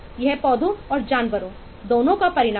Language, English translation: Hindi, those are the consequence of plants and animals both